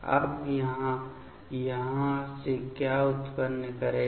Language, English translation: Hindi, Now, what it will generate from here